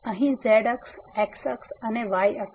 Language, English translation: Gujarati, So, here the axis, the axis and the axis